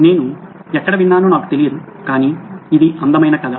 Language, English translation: Telugu, I don’t know where I heard it but it’s a beautiful story